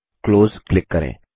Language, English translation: Hindi, Click OK.Click Close